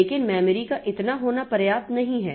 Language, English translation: Hindi, But having that much of memory is not sufficient